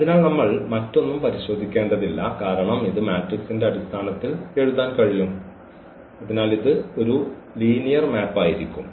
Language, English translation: Malayalam, So, we do not have to check anything else because we can write down this as this in terms of the matrix and therefore, this has to be a linear maps